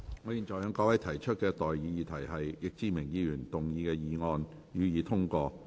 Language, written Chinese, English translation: Cantonese, 我現在向各位提出的待議議題是：易志明議員動議的議案，予以通過。, I now propose the question to you and that is That the motion moved by Mr Frankie YICK be passed